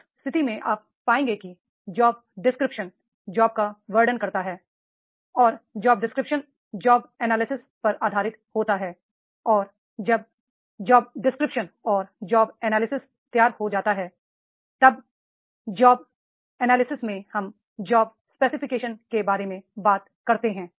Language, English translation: Hindi, So in that case you will find that is the job description describes the job and the job description is based on the analysis of the job and when job description and job analysis are ready then in the job analysis we also talk about job specification